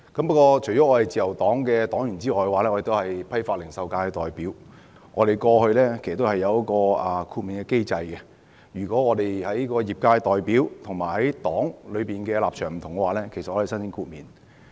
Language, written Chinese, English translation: Cantonese, 不過，我除了是自由黨的黨員外，亦是批發、零售界的代表，自由黨過去有一個豁免的機制，如果我作為業界代表與黨的立場不同，其實可以申請豁免。, While I am a member of the Liberal Party I am also a representative of the wholesale and retail sector . If the sector I represent adopts a stance different from that of the Liberal Party I can actually apply for exemption through the exemption mechanism which the Liberal Party has long since established